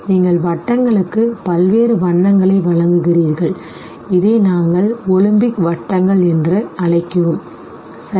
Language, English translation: Tamil, You provide various colors to the rings and this is what we call as olympic rings